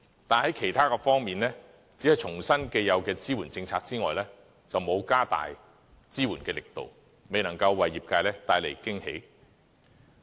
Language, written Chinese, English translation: Cantonese, 但是，在其他方面，除了重申既有的支援政策之外，就沒有加大支援力度，未能夠為業界帶來驚喜。, However with regard to the other sectors the Budget merely restates existing support policies without granting the sectors additional support and thus stopping short of bringing pleasant surprises to them